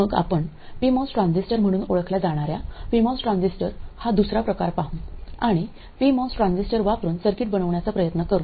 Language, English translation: Marathi, Then we go to another variety of MOS transistor known as P MOS transistor and try to make circuits using the P MOS transistor